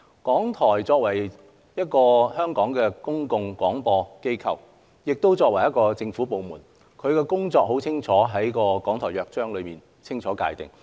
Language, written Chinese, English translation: Cantonese, 港台作為香港的公共廣播機構，亦作為政府部門，其工作已在《港台約章》中清楚界定。, The duties of RTHK in its role as a public service broadcaster and government department in Hong Kong are already clearly defined in the Charter